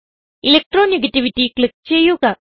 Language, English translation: Malayalam, Click on Electro negativity